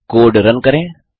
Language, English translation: Hindi, Lets now Run this code